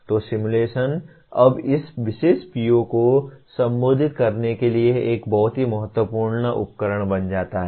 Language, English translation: Hindi, So simulation now becomes a very important tool to address this particular PO